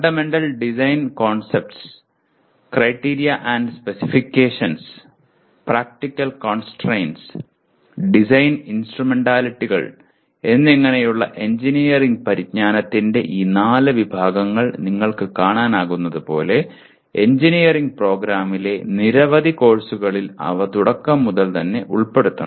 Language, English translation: Malayalam, So as you can see these four categories of engineering knowledge namely fundamental design concepts, criteria and specifications, practical constraints and design instrumentalities, they have to be incorporated right from the beginning in several courses in an engineering program